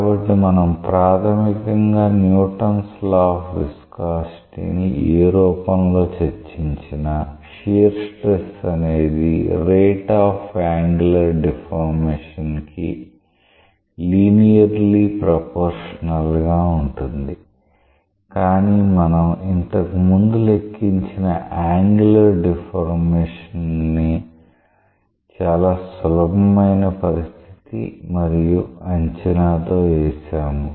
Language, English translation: Telugu, So, whatever form of Newton s law of viscosity we have discussed in the fundamental way, it is correct that is the shear stress is linearly proportional to the rate of angular deformation, but the quantification of angular deformation that we made earlier was based on a very simple case and assumption